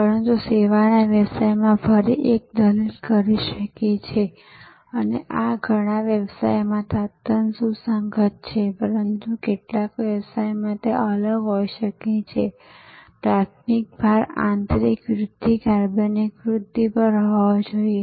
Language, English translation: Gujarati, But, again in services business one can argue and this is quite relevant in many businesses, but could be different in some businesses that primary emphasis should be on internal growth, organic growth